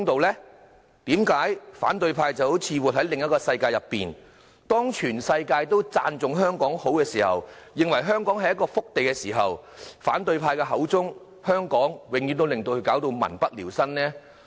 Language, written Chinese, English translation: Cantonese, 為何反對派好像活在另一個世界中，當全世界都讚頌香港好，認為香港是一個福地時，反對派口中的香港卻總是民不聊生？, Is this fair? . Why does the opposition camp seem to live in another world? . While other places in the world praise Hong Kong for being a blessed land why is it that the opposition camp always depicts Hong Kong as a destitute city?